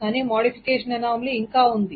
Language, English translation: Telugu, But modification anomalies are still there